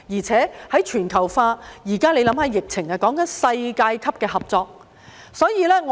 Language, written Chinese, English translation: Cantonese, 隨着全球化，現時在疫情下，需要的是世界級的合作。, Cooperation on a global level is what we need amid globalization and the current epidemic